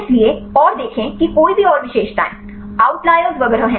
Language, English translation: Hindi, So, and see any features are out layers and so on